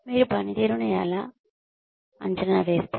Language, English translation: Telugu, How do you appraise performance